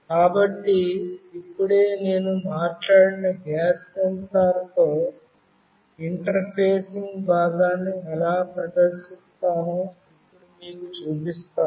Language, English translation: Telugu, So, now I will be showing you how I will actually demonstrate you the interfacing part with the gas sensor which I have talked about just now